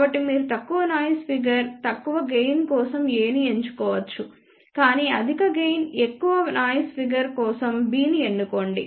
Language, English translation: Telugu, So, you can choose A for lower noise figure, but lower gain choose B for higher gain but higher noise figure